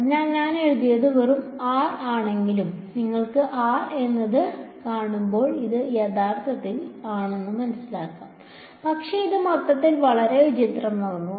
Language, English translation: Malayalam, So, even though I have written just r, it is understood that when you see r it is actually r with vector on top, but it makes the whole thing very clumsy